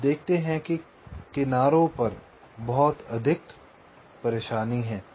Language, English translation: Hindi, you see that the edges are quite haphazard and so on